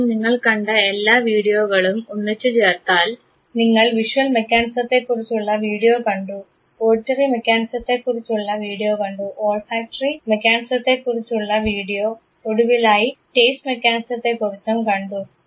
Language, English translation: Malayalam, Now, if you combine all the video that you seen, you saw the video for the visual mechanism, you saw the video for auditory mechanism, you saw the video for the olfactory mechanism and finally, the taste mechanism